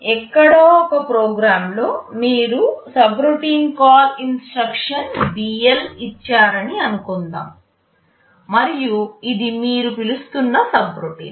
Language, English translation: Telugu, Suppose in a program somewhere you have given a subroutine call instruction BL and this is the subroutine you are calling